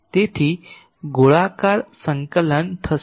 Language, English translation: Gujarati, So, spherical coordinate